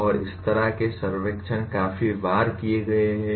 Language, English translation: Hindi, And this kind of surveys have been done fairly many times